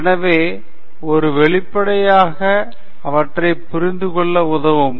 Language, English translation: Tamil, So, an outline helps them understand that